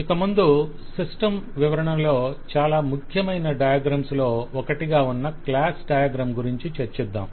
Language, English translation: Telugu, Next diagram we take up is the class diagram, which is possibly one of the more important diagrams in the presentation of a system